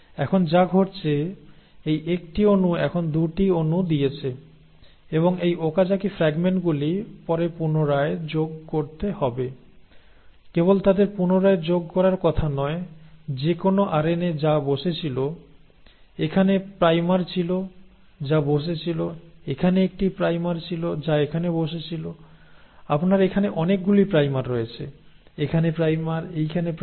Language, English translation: Bengali, Now, so what has happened, this one molecule is now giving rise to 2 molecules and these Okazaki fragments have to be later rejoined; not only are they supposed to be rejoined, whatever RNA which was sitting, there was primer which was sitting here, there was one primer which were sitting here, you have primers here, primers here, primer here